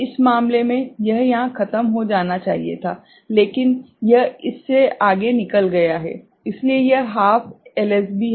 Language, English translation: Hindi, In this case, it should have been over here, but it has gone beyond that right, so this is plus half LSB